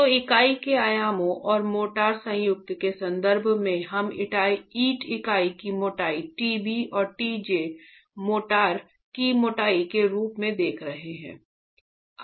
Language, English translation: Hindi, So, in terms of the dimensions of the unit and the motor joint, we are looking at the thickness of the brick unit as TB, the TB here and TJ as the thickness of the motor joint